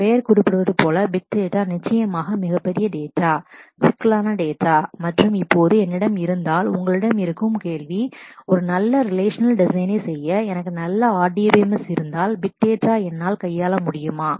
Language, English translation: Tamil, Big Data as a name suggests is certainly voluminous data, complex data and now the question that you might have is if I i have done a good relational design, if I have a good RDMS, can I not handle big data